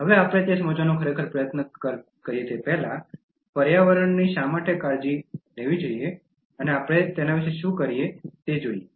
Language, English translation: Gujarati, Now before we actually try to understand, why should we really care for the environment and what we can do about it